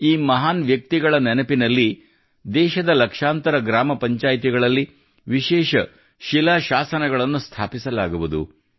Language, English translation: Kannada, In the memory of these luminaries, special inscriptions will also be installed in lakhs of village panchayats of the country